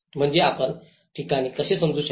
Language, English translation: Marathi, I mean how you can understand the places